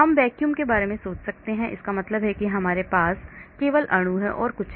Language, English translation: Hindi, I can think about vacuum that means I have only my molecule nothing else